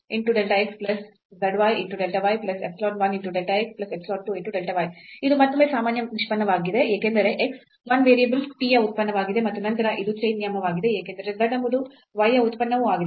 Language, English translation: Kannada, So, it is again an ordinary derivative because x is a function of 1 variable t and then this is a chain rule against of plus this because z is a function of y as well